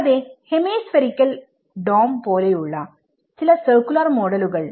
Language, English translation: Malayalam, Also, some of the circular models which is a hemispherical dome